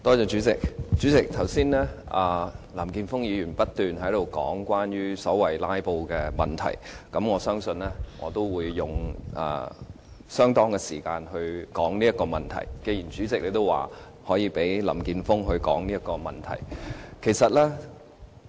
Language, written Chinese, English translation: Cantonese, 主席，剛才林健鋒議員不斷議論所謂"拉布"的問題，我相信，既然主席可以讓林健鋒議員談論這問題，我也會用相當的時間來談論這問題。, Chairman Mr Jeffrey LAM kept talking about the so - called problem of filibustering just now . Since the Chairman allowed Mr Jeffrey LAM to discuss that problem I will also use the same amount of time to discuss this problem